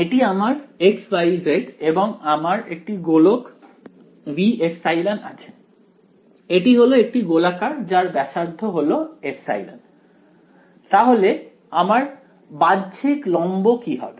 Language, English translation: Bengali, This is my x y z and I have a sphere right v epsilon right, it is a sphere radius epsilon, what is the outward normal